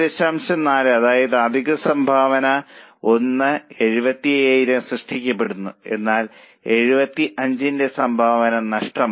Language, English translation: Malayalam, 75000 of additional contribution is generated but contribution of 75 is lost